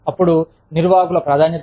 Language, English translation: Telugu, Then, management priority